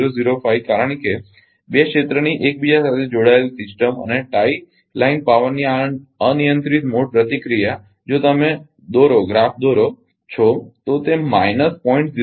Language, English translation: Gujarati, 005 because this uncontrolled mode responses of two area interconnected system and time line power if you plot it is showing minus 0